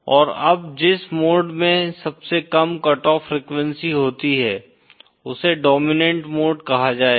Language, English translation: Hindi, The mode that has the lowest cut off frequency is called the dominant mode